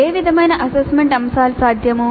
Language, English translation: Telugu, What kind of assessment items are possible